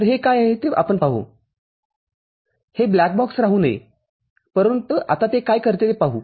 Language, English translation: Marathi, So, we shall see what is this it should not remain a black box, but for the time being let us see what does it do